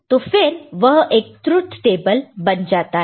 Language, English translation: Hindi, So, then it becomes a truth table